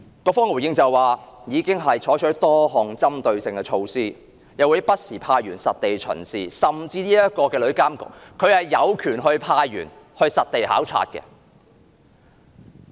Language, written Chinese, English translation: Cantonese, 局方的回應是，已經採取多項針對性的措施，又會不時派員實地巡視，甚至日後的旅監局有權派員實地考察。, The response of the Policy Bureau was that a number of targeted measures had been taken and officers were assigned to conduct site inspections from time to time . We were even told that in future TIA would also have the authority to assign officers to conduct site visits